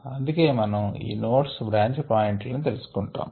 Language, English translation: Telugu, so that is why we look at these nodes, the branch points